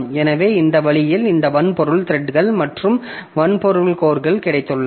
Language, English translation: Tamil, So, that way we have got this hardware threads and hardware codes